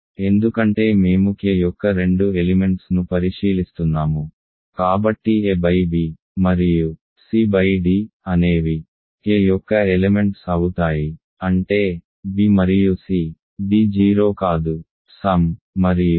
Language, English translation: Telugu, Because we are considering two elements of K, so a by b and c by d are elements of K; that means, b and c d are not 0